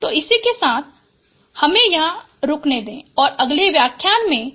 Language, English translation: Hindi, So with that let me stop here and I will continue this topic in the next lectures